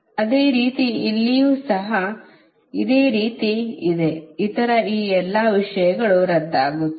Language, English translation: Kannada, similarly, here, also right, all other things will be cancel